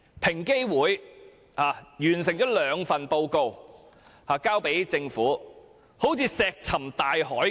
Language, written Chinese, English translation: Cantonese, 平等機會委員會完成了兩份報告並提交政府，卻好像石沉大海般。, Two reports prepared by the Equal Opportunities Commission EOC and submitted to the Government seem to be disappeared without a trace